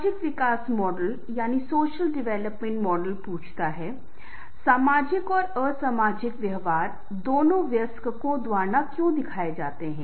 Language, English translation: Hindi, the social developmental model asks why both social and anti social behavior